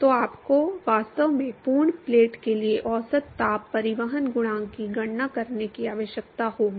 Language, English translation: Hindi, So, you would really require to calculate the average heat transport coefficient for the full plate